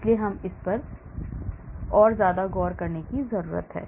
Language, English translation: Hindi, So, we need to look at this